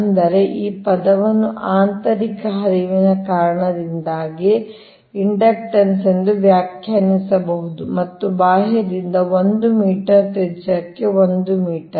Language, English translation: Kannada, first term can be defined as the inductance due to both the internal flux and that external to the conductor, to a radius up to one meter only